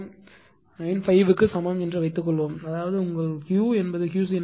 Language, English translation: Tamil, 95 per unit; that means, your Q should be is equal to Q c 0 then it will be 0